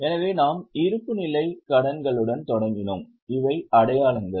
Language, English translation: Tamil, So, we started with balance sheet liabilities, these were the markings